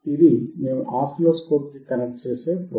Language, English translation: Telugu, This is the probe that we connect to the oscilloscope